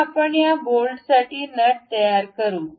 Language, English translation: Marathi, Now, we will construct a nut for this bolt